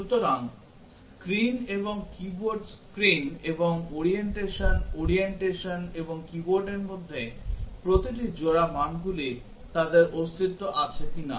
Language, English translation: Bengali, So, that every pair of values between screen and keyboard screen and orientation, orientation and keyboard whether they exist are not